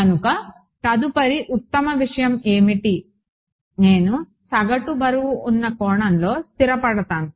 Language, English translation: Telugu, So, what is the next best thing I settle for in a average weighted sense right